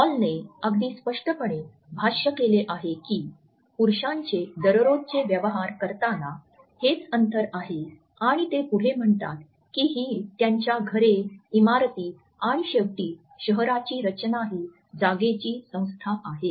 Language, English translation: Marathi, Hall has very rightly commented that this is the distance between men in conduct of their daily transactions and further he says that it is also the organizations of space in his houses, buildings and ultimately the layout of his town